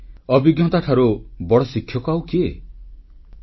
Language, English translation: Odia, And, who can be a better teacher than experience